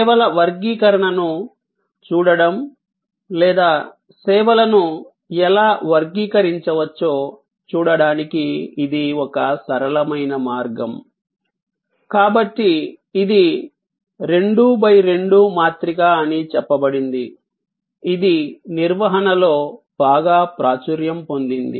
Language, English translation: Telugu, This is a simple way of looking at the taxonomy of services or how services can be classified, so it is say 2 by 2 matrix, which is very popular in management